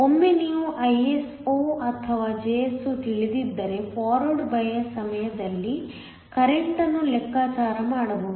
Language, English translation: Kannada, Once you know Iso or Jso can calculate the current during forward bias